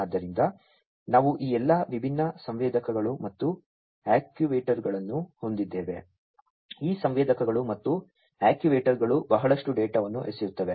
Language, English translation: Kannada, So, we have all these different sensors and actuators, these sensors and actuators throw in lot of data